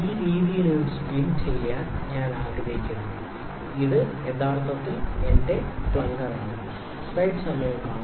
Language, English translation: Malayalam, I like to spin it in this way, this is actually my plunger